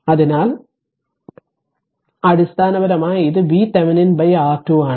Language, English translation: Malayalam, So, basically it is a V Thevenin by R thevenin